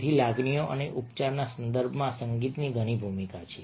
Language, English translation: Gujarati, so music has a lot of role to play in the context of emotions and therapy